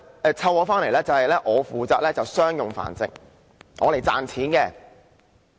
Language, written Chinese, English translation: Cantonese, 假設我被主人飼養，負責商業繁殖，負責賺錢。, Suppose I were a dog kept by my owner for commercial breeding to make money